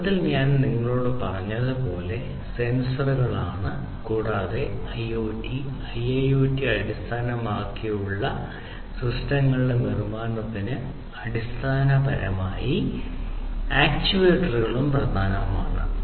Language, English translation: Malayalam, And as I told you at the outset sensors are, and, actuators are basically key to the building of IoT and IIoT based systems